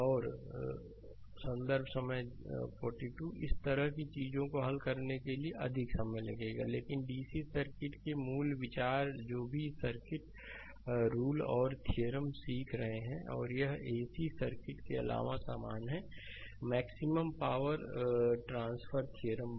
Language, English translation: Hindi, And it it will take much more time as it conceive more time to solve such things, but basic idea for dc circuit whatever circuits laws and theorems you are learning, it is same as same for your ac circuits apart from your maximum power transfer theorem that we will see later right